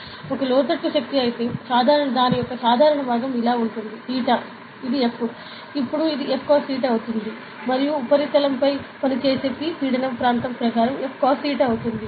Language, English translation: Telugu, So, if it is an inland force, then the normal component will be like this over theta is this is F, then this is going to be F cos theta and then the pressure P acting on the surface will be F cos theta by area, ok